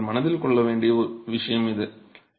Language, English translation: Tamil, So, this is a point you need to keep in mind